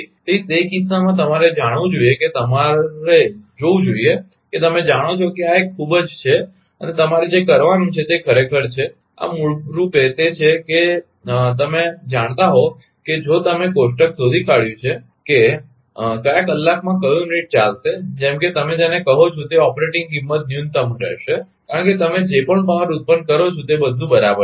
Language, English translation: Gujarati, So, in that case you have to you know you have to see that you know this is a very ah and what you have to do is actually, this is basically it is a you know ah if you have look up table that in which hour which unit will operate, such that your ah your what you call that operating cost will be minimum because whatever power you generate everything is ok